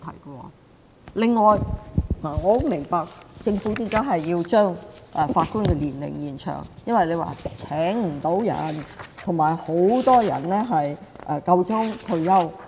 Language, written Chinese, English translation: Cantonese, 我十分明白政府為何要將法官的退休年齡延長，因為請不到人，而且很多人快要退休。, I fully understand why the Government wants to extend the retirement ages of Judges as many Judges are about to retire but it is hard to recruit new blood